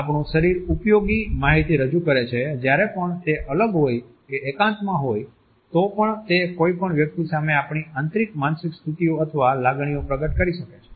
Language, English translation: Gujarati, Our body presents useful information even when it is isolated and even in solitude it can reveal internal mental states or emotions to any person